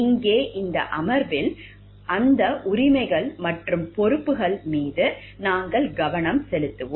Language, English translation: Tamil, And here in this session we will be focusing on those rights and responsibilities